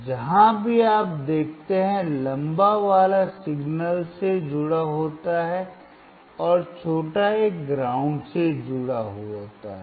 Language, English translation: Hindi, The longer one wherever you see is connected to the signal, and the shorter one is connected to the ground